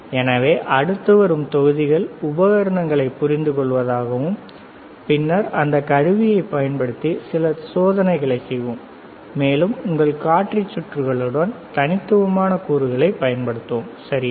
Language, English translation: Tamil, So, the next set of modules is to understand the equipment, and then we will move on to actual experiments using this equipment and using the discrete components along with your indicator circuits, all right